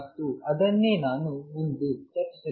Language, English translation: Kannada, And that is what I am going discuss next